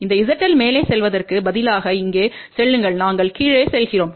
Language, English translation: Tamil, This Z L go to here instead of going up we are going down